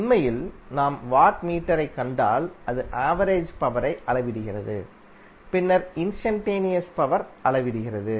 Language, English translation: Tamil, Wattmeter is using is measuring the average power then the instantaneous power